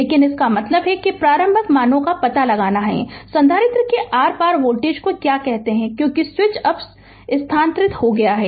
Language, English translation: Hindi, But, that means you have to find out the initial values of the your, what you call voltage across the capacitor initial, because switch is moved now